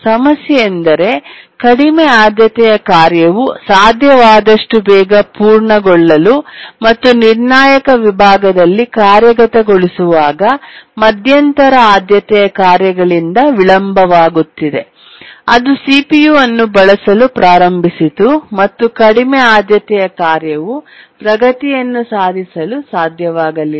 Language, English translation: Kannada, If you remember a low priority task which was executing in the critical section was getting delayed by intermediate priority tasks which has started to use the CPU and the low priority task could not make progress